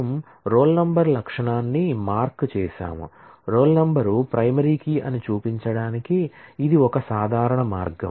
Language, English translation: Telugu, We underlined the roll number attribute; this would be a common way to show that roll number is a primary key